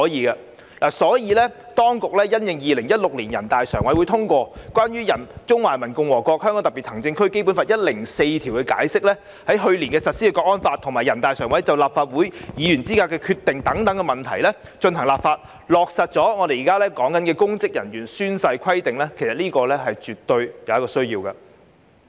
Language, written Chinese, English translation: Cantonese, 因此，當局因應2016年全國人民代表大會常務委員會通過的《關於〈中華人民共和國香港特別行政區基本法〉第一百零四條的解釋》、去年實施的《香港國安法》，以及人大常委會關於《立法會議員資格問題的決定》進行立法，落實我們現時討論的公職人員宣誓規定，這是絕對有需要的。, Therefore in light of the Interpretation of Article 104 of the Basic Law of the Hong Kong Special Administrative Region of the Peoples Republic of China adopted by the Standing Committee of the National Peoples Congress NPCSC in 2016 the implementation of the National Security Law last year and NPCSCs Decision on Issues Relating to the Qualification of the Members of the Legislative Council of the Hong Kong Special Administrative Region it is absolutely necessary for the authorities to introduce this Bill under discussion in this Council to implement the oath - taking requirement for public officers